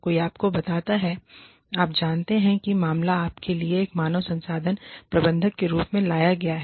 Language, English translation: Hindi, Somebody tells you, you know, the matter is brought to you, in your capacity, as a human resource manager